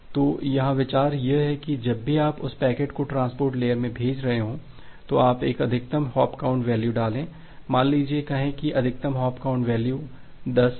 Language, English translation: Hindi, So, the idea is that whenever you are sending a packet in the transport layer in that packet you put a maximum hop count value say the maximum hop count value is 10